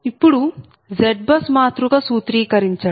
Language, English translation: Telugu, now, formulation of z bus matrix